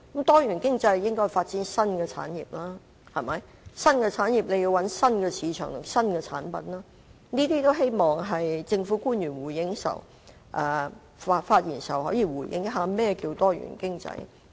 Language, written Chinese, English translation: Cantonese, 多元經濟應該發展新產業，要發展新產業，便要尋找新市場和新產品，我希望政府官員稍後發言時可以回應一下何謂"多元經濟"。, New industries will be developed in a diversified economy . To develop new industries new markets and products must be developed . I hope that government officials will respond later by telling us the meaning of a diversified economy in their speeches